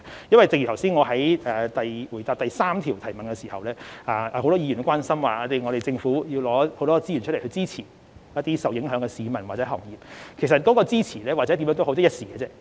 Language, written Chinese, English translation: Cantonese, 因為正如我剛才在回答第三項質詢時，很多議員都關心政府要拿很多資源來支持一些受影響的市民或行業，而其實那些支持或甚麼政策也好，都只是一時而已。, As I have pointed out in the reply to Question No . 3 just now Members were concerned that the Government had to allocate a lot of resources to support sectors or people affected by the pandemic yet the support or the policy was only stop - gap measure